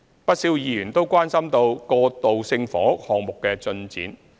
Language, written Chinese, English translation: Cantonese, 不少議員都關心過渡性房屋項目的進展。, Many Members are concerned about the progress of transitional housing projects